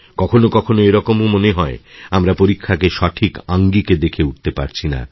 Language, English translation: Bengali, Sometimes it also appears that we are not able to perceive examinations in a proper perspective